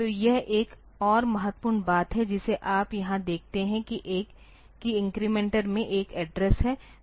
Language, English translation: Hindi, So, this is another important thing that you see here there is an address in incrementer